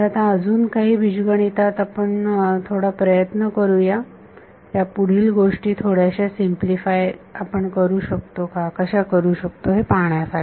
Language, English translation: Marathi, So, now, let us try a little bit more of algebra to see how we can simplify things further